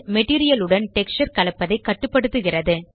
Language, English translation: Tamil, Blend controls how the texture blends with the material